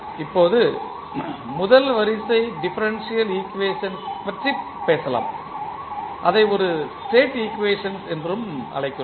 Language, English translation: Tamil, Now, let us talk about first order differential equation and we also call it as a state equation